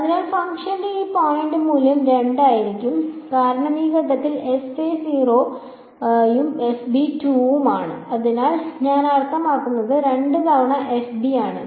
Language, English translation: Malayalam, So, it is going to be the value at this point of the function will be 2 because at this point fa is 0 and fb is 2 right so I mean 2 times fb is there